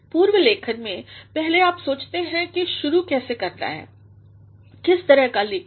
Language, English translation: Hindi, In pre writing, the first is that you will be thinking of how to begin, what sort of writing